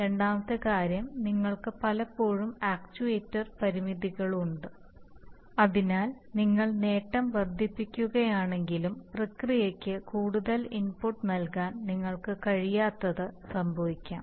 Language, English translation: Malayalam, Second thing is that you often have actuator constraints, so even if you increase the gain, is, it may happen that you are not able to give more input to the process